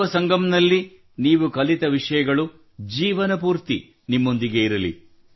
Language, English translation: Kannada, May what you have learntat the Yuva Sangam stay with you for the rest of your life